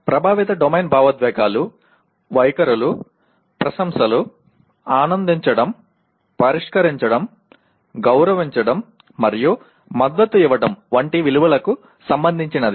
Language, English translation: Telugu, And affective domain relates to emotions, attitudes, appreciations, values such as enjoying, conserving, respecting and supporting